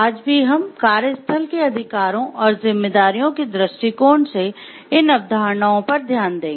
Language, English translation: Hindi, Also today we will have a relook into these concepts from the workplace rights and responsibilities perspective